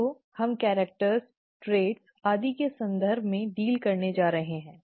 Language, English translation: Hindi, So we are going to deal in terms of characters, traits and so on